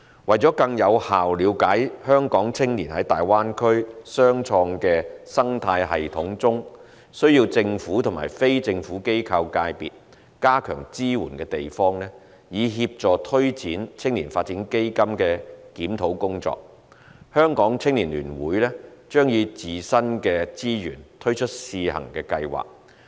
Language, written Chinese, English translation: Cantonese, 為了更有效了解香港青年在大灣區雙創生態系統中需要政府及非政府機構界別加強支援的地方，以協助推展青年發展基金的檢討工作，香港青年聯會將以自身的資源推出試行計劃。, To understand more effectively the aspects of the entrepreneurial ecosystem in the Greater Bay Area where our young people would require enhanced support from the Government and the non - governmental organization NGO sector in order to help take forward the review of YDF the Hong Kong United Youth Association HKUYA will launch a pilot scheme with its own resources